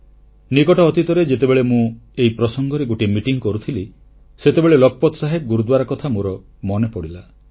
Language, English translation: Odia, Recently, while holding a meeting in this regard I remembered about of Lakhpat Saheb Gurudwara